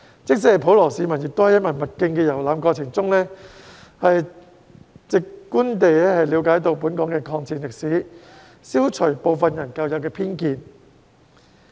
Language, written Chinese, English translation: Cantonese, 即使普羅市民，亦可在文物徑的遊覽過程中直觀地了解本港的抗戰歷史，消除部分人的舊有偏見。, Even the general public can learn about the history of Hong Kongs War of Resistance through direct experience during their visits to the heritage trails thus dispelling the old prejudices held by some people